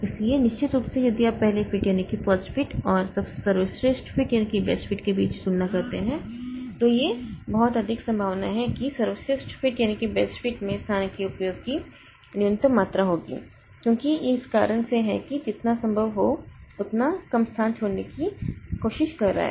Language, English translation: Hindi, So, definitely compared if you compare between first fit and best fit it is very much likely that best fit will have minimum amount of wastage of space because of the reason that okay it is trying to leave as little space unutilized as possible